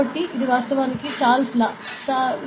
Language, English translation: Telugu, So, this is the, it is the Charles law actually